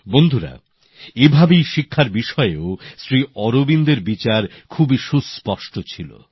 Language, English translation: Bengali, likewise, Shri Aurobindo's views on education were very lucid